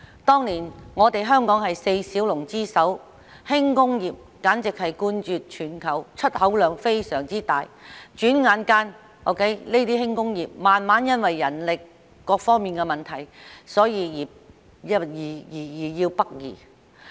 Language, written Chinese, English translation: Cantonese, 當年，香港是四小龍之首，輕工業簡直冠絕全球，出口量非常大，轉眼間，這些輕工業因為人力等各方面的問題逐漸北移。, In those years Hong Kong ranked the first among the Four Little Dragons of Asia and our light industries were the most buoyant in the world with a very large export volume . However in the blink of an eye these light industries have gradually migrated northward because of various problems such as manpower etc